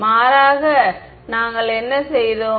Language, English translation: Tamil, What did we do rather